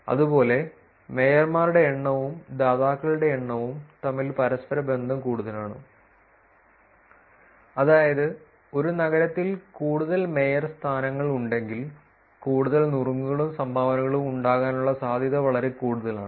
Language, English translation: Malayalam, Similarly, the correlation is also high between number of mayorships and the number of dones, which is if there are more mayorships there in a city that is high chance that there will more of tips and dones also